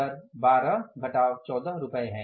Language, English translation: Hindi, Rate is 12 minus 14